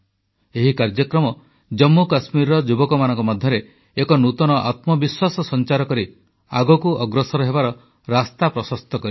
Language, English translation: Odia, This program has given a new found confidence to the youth in Jammu and Kashmir, and shown them a way to forge ahead